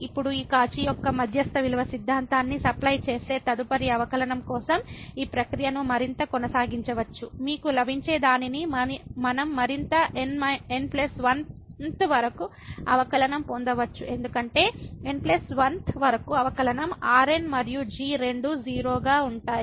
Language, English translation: Telugu, And now we can continue this process further for the next derivative supplying this Cauchy's mean value theorem further what you will get we can go up to the plus 1th derivative because, up to n th derivative and both are 0